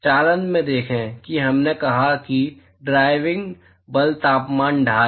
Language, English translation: Hindi, See in conduction we said that, the driving forces temperature gradient